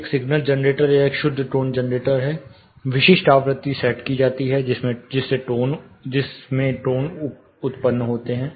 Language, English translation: Hindi, There is a signal generator or a pure tone generator, specific frequency is set in which tones are produced